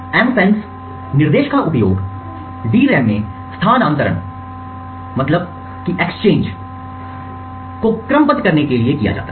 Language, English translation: Hindi, The MFENCE instruction is used to serialize the transfers to the DRAM